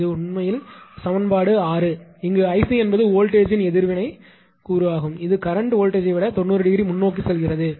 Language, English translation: Tamil, This is actually equation 6; where I c is the reactive component of current leading the voltage by ninety degree right